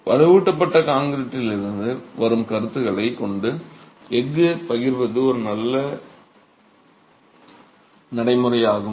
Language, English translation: Tamil, So, considering concepts that come from reinforced concrete, distributing the steel is a good practice